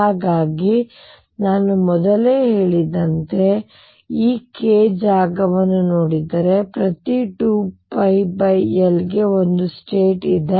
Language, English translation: Kannada, So, as I said earlier if I look at this case space every 2 pi by L there is one state